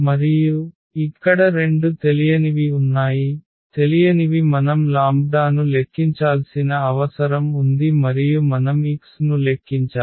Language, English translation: Telugu, And, there are two unknowns here, the unknowns are the lambda we need to compute lambda and also we need to compute x